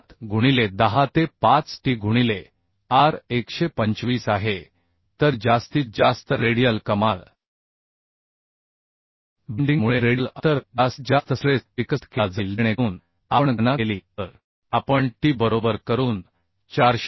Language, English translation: Marathi, 87 into 10 to the 5 t into r is 125 so maximum radial maximum radial distance maximum stress due to bending will be developed so that if we calculate we can find out 455